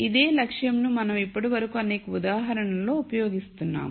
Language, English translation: Telugu, I think this is the same objective that we have been using till now in the several examples